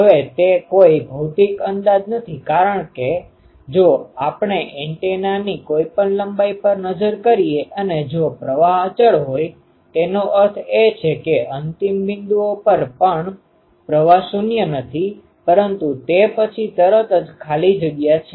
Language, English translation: Gujarati, Now, that is not a physical approximation because, if we look at any length of an antenna and if throughout the current is constant; that means, at the end points also, the current is ah nonzero, but immediately after that there is free space